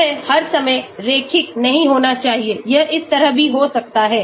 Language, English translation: Hindi, It need not be all the time linear it can be like this also